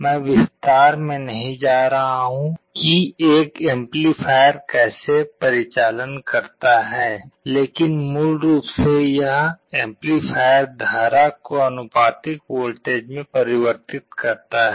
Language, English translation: Hindi, I am not going to the detail how an operational amplifier works, but basically this amplifier converts the current into a proportional voltage